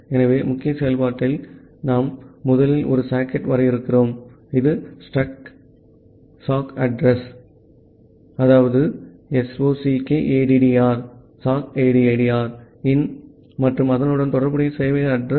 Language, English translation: Tamil, So, in the main function, we have this we are first defining a socket, which is the struct sockaddr in and the corresponding server address